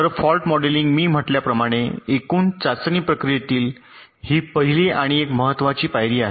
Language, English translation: Marathi, ok, so fault modelling, as i said, this is the first step and a very important step in the total testing process